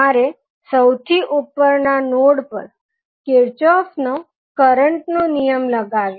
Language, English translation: Gujarati, You have to apply the Kirchhoff current law at the top node